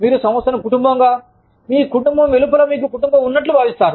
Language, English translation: Telugu, You will feel like the, your family, outside of your family